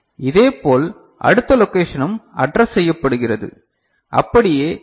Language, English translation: Tamil, And similarly the next location is addressed so, this one